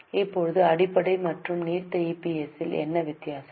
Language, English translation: Tamil, Now what is a difference in basic and diluted EPS